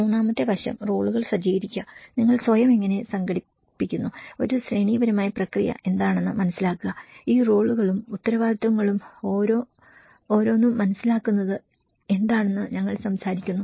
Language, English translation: Malayalam, Third aspect we talk about the set up the roles, how you organize yourself, understand what is a hierarchical process, what is the understand each of these roles and responsibilities